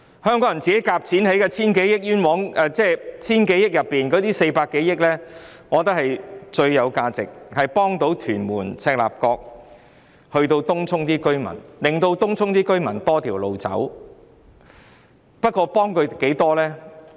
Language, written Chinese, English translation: Cantonese, 我覺得，在 1,000 多億元中，這筆400多億元的開支最具價值，因為可以幫助屯門、赤鱲角及東涌的市民，讓他們有多一條路徑選擇。, In my view this expenditure of some 40 billion out of the 100 billion is of the greatest worthiness because the spending of this sum can bring benefits to residents of Tuen Mun Chek Lap Kok and also Tung Chung in the sense that it can provide them with an additional route as option